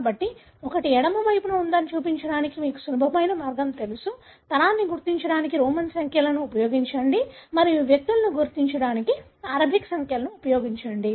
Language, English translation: Telugu, So one, you know simple way to show it is on the left side, use Roman numerals to identify the generation and use Arabic numerals to identify the individuals